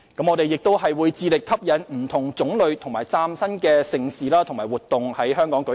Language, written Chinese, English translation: Cantonese, 我們亦會致力吸引不同種類和嶄新的盛事和活動在本港舉行。, We will also strive to attract different kinds of new and mega events to Hong Kong